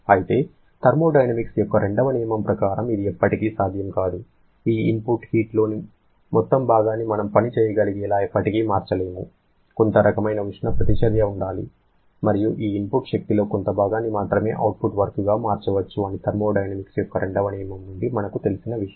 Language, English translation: Telugu, However, as per the second law of thermodynamics that is never possible, we can never convert entire part of this input heat to work rather there has to be some kind of heat reaction and only a part of this input energy can be converted to work output which we know now from the second law of thermodynamics